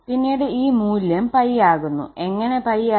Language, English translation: Malayalam, And then this value is coming to be pi, how pi